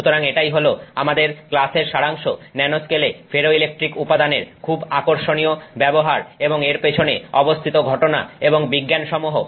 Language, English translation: Bengali, So, that's our summary for the class, very interesting use of ferroelectric materials in the nanoscale and the phenomenon and the science behind it